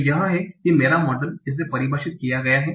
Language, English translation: Hindi, So that's how my model is defined